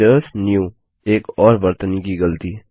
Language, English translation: Hindi, visitors new another spelling mistake